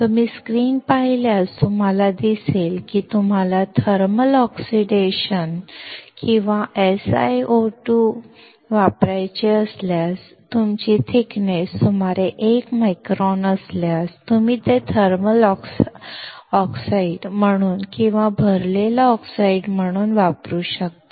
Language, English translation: Marathi, If you see the screen, you see that if you want to use the thermal oxidation or SiO2, you can use it as a thermal oxide or as a filled oxide if your thickness is around 1 micron